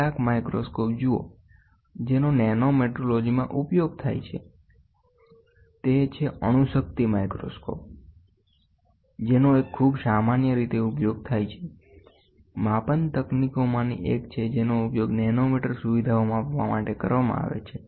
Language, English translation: Gujarati, See some of the microscopes which are used in nanometrology one very commonly used one is atomic force microscopy; is one of the most common measurement techniques which are used to measure nanometer features